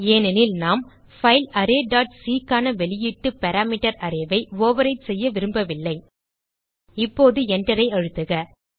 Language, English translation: Tamil, Here we have array1 because we dont want to overwrite the output parameter array for the file array dot c Now press Enter